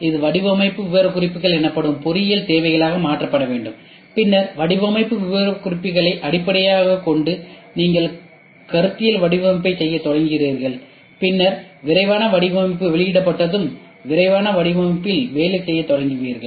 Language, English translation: Tamil, This is need you convert it into engineering requirements that is design specifications and then based on the design specifications you start doing conceptual design and then you start working on detail design once the detail design is released ok, it is too hard for you to go back and start iterating back and forth